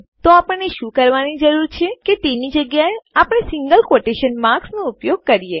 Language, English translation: Gujarati, So what we need to do is use our single quotation marks instead